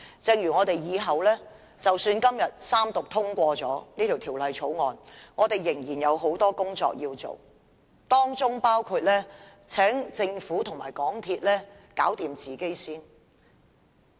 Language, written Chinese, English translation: Cantonese, 即使我們今天三讀通過《條例草案》，我們仍然有很多工作要做，當中包括請政府和港鐵公司首先解決自身的問題。, Even if we complete the Third Read and pass the Bill today we still have a lot of work to do including asking the Government and the MTR Corporation Limited to resolve their own problems first